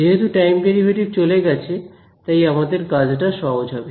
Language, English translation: Bengali, Since the time derivatives have gone, my pro life has become easier